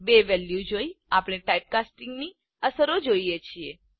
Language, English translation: Gujarati, Looking at the two values we see the effects of typecasting